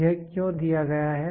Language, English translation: Hindi, Why is this given